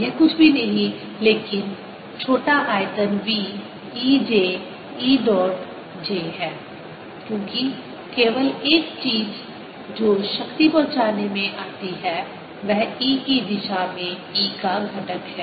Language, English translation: Hindi, v e j is e dot j, because the only thing that comes into delivering power is the component of e in the direction of j